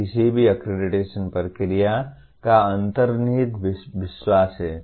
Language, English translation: Hindi, That is the underlying belief of any accreditation process